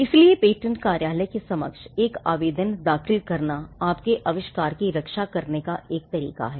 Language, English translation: Hindi, So, filing an application before the patent office is a way to protect your invention